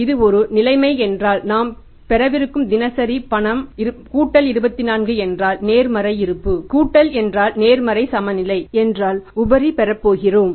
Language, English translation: Tamil, If this is a situation 1 we have got the daily cash balances we are going to have plus 24 means the positive balance plus means positive balance we are going to have surplus we are going to have